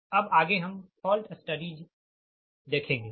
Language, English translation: Hindi, next will go for the fault studies, right